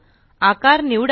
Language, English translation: Marathi, Select the shape